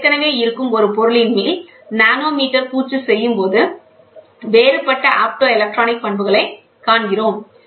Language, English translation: Tamil, So, when I do a nanometer coating on top of a of a existing material, then we see a different optoelectronic properties